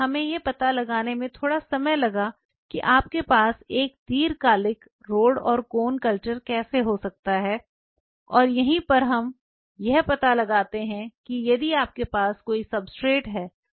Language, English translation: Hindi, It took us a while to figure out how you can have a long term ROD and CONE culture and that is where we figure out you can have it if you have a substrate